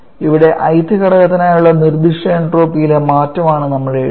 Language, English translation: Malayalam, Here writing this for the change in specific entropy for the i th component